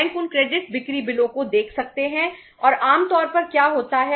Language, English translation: Hindi, Bank may look at those credit sale bills and normally what happens